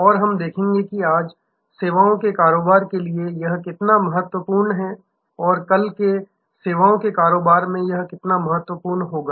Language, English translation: Hindi, And we will see, how important it is for services business today and how more important it will be in services business of tomorrow